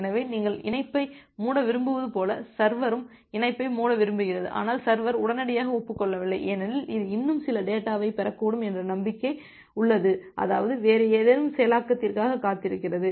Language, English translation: Tamil, So, it is just like that you want to close the connection, the server also wants to close the connection, but server is not immediately acknowledging because, it has a belief that it may receive some more data or it is waiting for some other processing